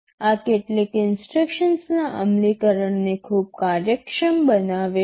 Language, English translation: Gujarati, This makes the implementation of some of the instructions very efficient